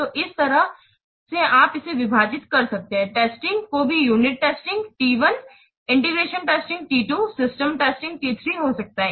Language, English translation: Hindi, Similarly, testing is divided into unit testing is T1, integration testing T2, system testing might be T3